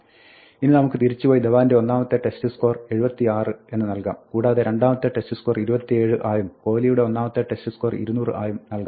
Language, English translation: Malayalam, Now we can go back and set Dhawan's score in the first test to 76 and may be you can set the second test to 27 and maybe we can set KohliÕs score in the first test to 200